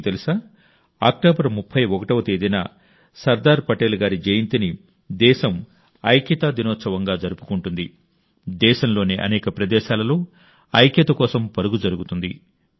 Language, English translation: Telugu, And you know, on the 31st of October, the birth anniversary of Sardar Saheb, the country celebrates it as Unity Day; Run for Unity programs are organized at many places in the country